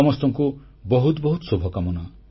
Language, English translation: Odia, Heartiest felicitations to all of you